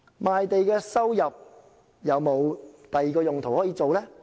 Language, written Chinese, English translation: Cantonese, 賣地收入有否其他用途呢？, Can revenues from land sales be used for any other purposes?